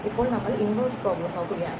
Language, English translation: Malayalam, We are looking at the inverse problem